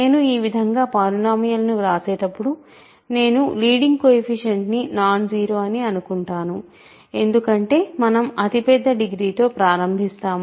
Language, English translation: Telugu, So, I am assuming whenever I write like this of course, remember, when we write a polynomial like this we will always assume that the leading coefficient is nonzero because we will start with the largest degrees